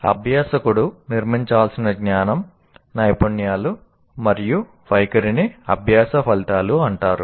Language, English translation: Telugu, And the knowledge, skills and attitudes, the learner has to construct are what we called as learning outcomes